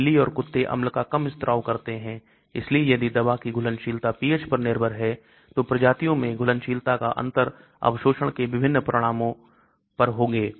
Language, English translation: Hindi, Cats and dogs secrete less acid so if the drug solubility is pH dependent differences in solubility between species will result in different absorption so rat you will get pH changes